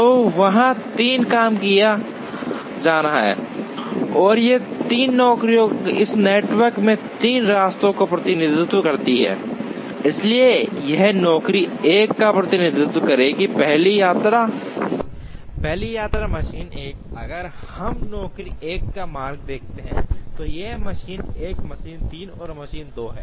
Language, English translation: Hindi, So, there are three jobs to be done, and these three jobs represent three paths in this network, so this would represent the job 1 first visits machine 1, if we see the route of job 1 it is machine 1, machine 3 and machine 2